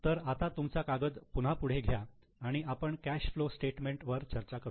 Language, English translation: Marathi, So take your sheet once again and we will go for discussion of cash flow statement